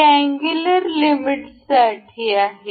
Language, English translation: Marathi, This is for angular limits